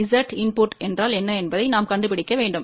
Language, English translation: Tamil, We need to find what is Z input